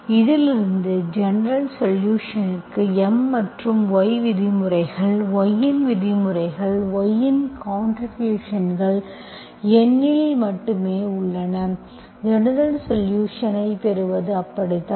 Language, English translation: Tamil, From this I can conclude the general solution has contributions from M and terms of y, terms of only y, terms of y only in x, in N, okay, you can see this